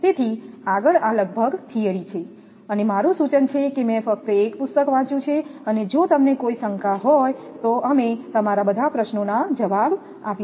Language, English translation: Gujarati, So, next is, up to this almost of the theories and my suggestion is that just I read a book and if you have any doubt we will answer your all questions